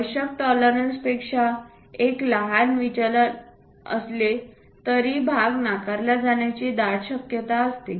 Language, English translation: Marathi, A small deviation from the required tolerances there is a high chance that part will be get rejected